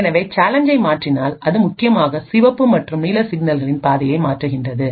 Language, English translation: Tamil, So note that if we change the challenge, it essentially changes the path for the red and blue signals and as a result output may change